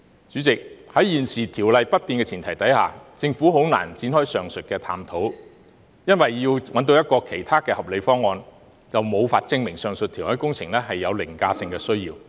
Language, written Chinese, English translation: Cantonese, 主席，在現時《條例》不變的前提下，政府難以展開上述探討，因為如能想出其他合理方案，便無法證明上述填海工程是有凌駕性的需要。, President with the existing Ordinance intact it is difficult for the Government to embark on the said exploration because if a reasonable alternative can be figured out there will be no way to prove the overriding need for the said reclamation project